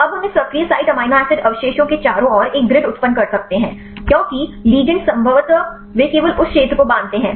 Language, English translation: Hindi, So, now, we can generate a grid around this active site amino acid residues because the ligands probably they potentially they bind only that region